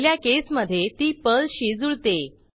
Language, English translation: Marathi, In the first case, it matches with the case Perl